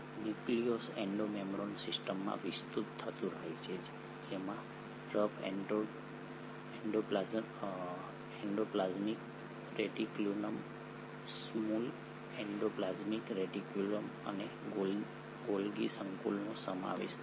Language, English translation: Gujarati, The nucleus keeps on extending into Endo membrane system which consists of rough endoplasmic reticulum, the smooth endoplasmic reticulum and the Golgi complex